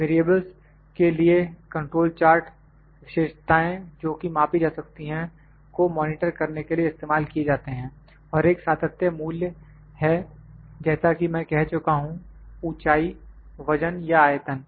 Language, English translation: Hindi, The control chart for variables is used to monitor characteristics that can be measured and have a continuum value like I said height, weight or volume